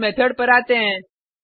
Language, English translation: Hindi, Let us come to this method